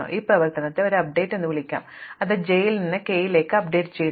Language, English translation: Malayalam, So, let us call this operation an update, it updating k from j